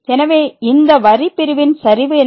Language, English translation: Tamil, So, what is the slope of this line segment